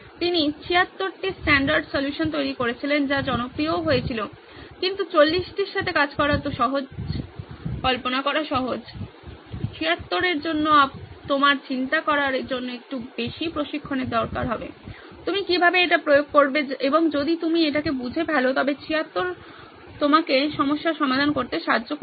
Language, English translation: Bengali, He also generated 76 standard solutions that also became popular but 40 is easier to work with, easier to imagine, 76 requires a little bit of training for you to think about it, how do you apply it and if you have it nailed down the problem nailed down then 76 standard solutions help you